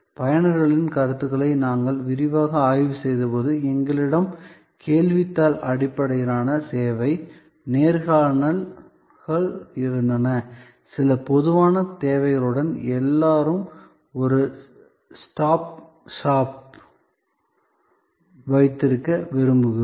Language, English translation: Tamil, When we extensively surveyed opinion of users, we had questionnaire based service, interviews, we came up that with some general requirements like everybody would prefer to have a one stop shop